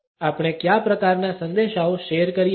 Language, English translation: Gujarati, What are the types of messages we share